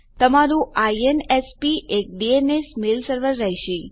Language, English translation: Gujarati, Your INSP will have a DNS mail server